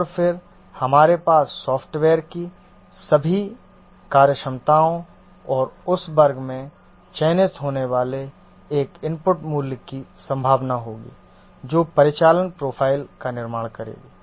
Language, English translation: Hindi, And then we will have all the functionalities of the software and probability of an input value getting selected from that class, that will form the operational profile